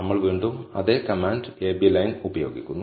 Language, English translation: Malayalam, We again use the same command a b line